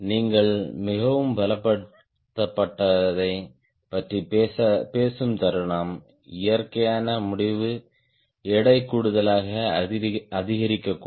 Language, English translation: Tamil, the moment we talk about highly strengthened, natural conclusion would be the weight may increase